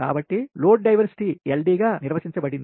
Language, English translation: Telugu, right, therefore, load diversity is defined as ld